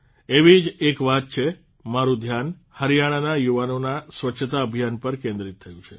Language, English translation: Gujarati, That's how my attention was drawn to a cleanliness campaign by the youth of Haryana